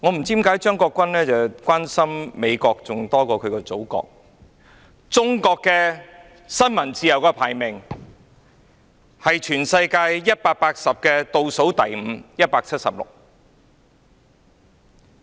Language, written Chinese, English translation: Cantonese, 在全球180個國家中，中國的新聞自由排名倒數第五，即第一百七十六位。, In terms of freedom of the press among 180 countries over the world China ranked 5 from the bottom ie . 176